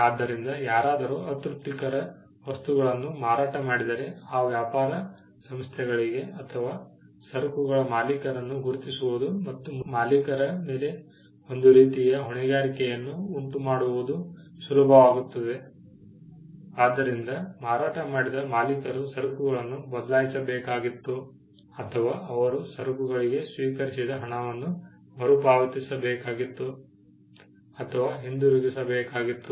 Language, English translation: Kannada, So if someone sold unsatisfactory goods then, it was easy for these trade organizations to identify the owner of those goods and cause some kind of liability on the owner, either the owner had to replace the goods or he had to give back the consideration the money, he received for the goods